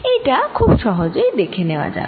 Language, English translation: Bengali, this very easy to see